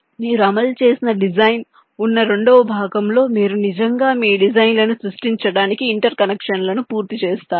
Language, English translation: Telugu, in the second part, where you have a design to be implemented, you actually complete the interconnections to create your designs, right